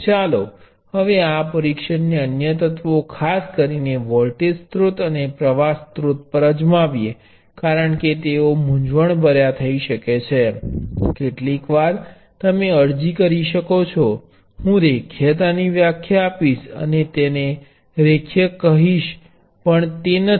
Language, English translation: Gujarati, Now let us try this test on other elements; particularly voltage source and the current source, because they can be confusing sometimes you can apply I would definition of linearity and say that linear but they are not